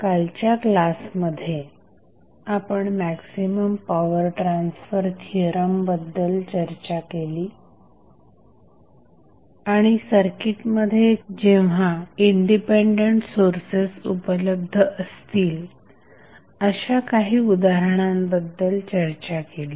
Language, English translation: Marathi, So, in yesterday's class we discussed about the maximum power transfer theorem and we discuss few of the examples when independent sources were available in the circuit